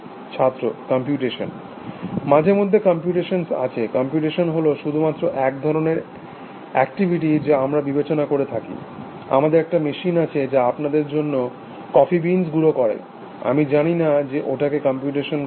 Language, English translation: Bengali, Computations Something that there is computation, but computation is only, one kind of activity that we consider, we have a machine which grains coffee beans for you, I do not know that is doing computation